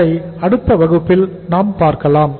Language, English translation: Tamil, That we will do in the next class